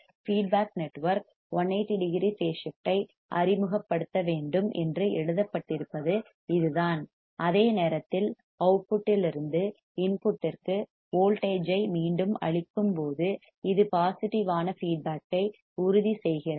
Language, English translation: Tamil, This is what is written that the feedback network must introduce a phase shift of 180 degree, while feeding back the voltage from output to the input this ensures the positive feedback